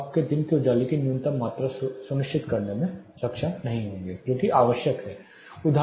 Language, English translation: Hindi, So, you may not be able to ensure the minimum amount of daylight which is required